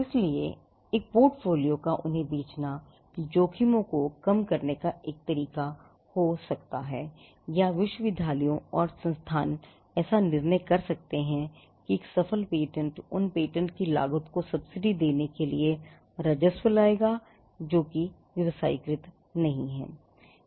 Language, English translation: Hindi, So, a portfolio is selling them as a portfolio could be one way to hedge the risks or universities and institutions may take a call that a successful patent would bring in revenue to subsidize the cost of the patents that are not commercialized